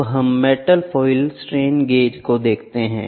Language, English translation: Hindi, Next, let us see the metal foil strain gauge